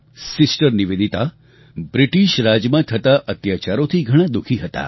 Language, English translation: Gujarati, Sister Nivedita felt very hurt by the atrocities of the British rule